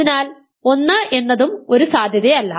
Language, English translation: Malayalam, So, 1 is also not a possibility